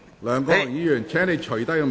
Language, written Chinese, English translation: Cantonese, 梁國雄議員，請你脫下面具。, Mr LEUNG Kwok - hung please take off the mask